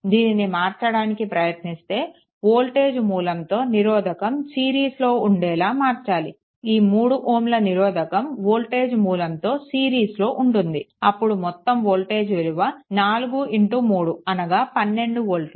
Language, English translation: Telugu, If you try to convert it into the your what you call judiciously you have to make it into that your voltage source and resistance in series, the resistance this 3 ohm is in series, then 4 that v is equal to it is 4 into 3 that is your 12 volt, that is 12 volt right